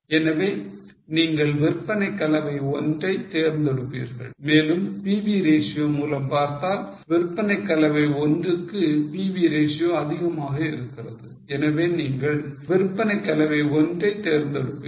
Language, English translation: Tamil, So, you would prefer sales mix 1 and by PV ratio, pv ratio is higher for sales mix 1 and by PV ratio is higher for sales mix 1 so you prefer sales mix 1